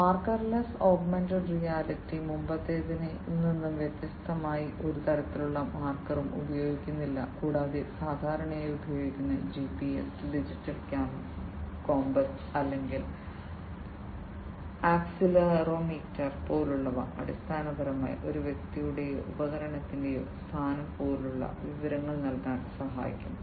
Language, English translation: Malayalam, The marker less augmented reality unlike the previous one does not use any kind of marker and these commonly used things like GPS, digital compass or accelerometer, which basically help in offering information such as the location of a person or a device